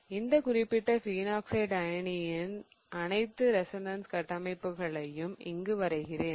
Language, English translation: Tamil, So I will just quickly draw all the resonance structures of this particular phenoxide ion